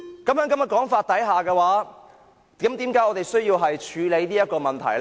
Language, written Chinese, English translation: Cantonese, 那麼，在這種說法之下，我們為何需要處理這個問題呢？, Under such circumstances why is it necessary for us to deal with this problem?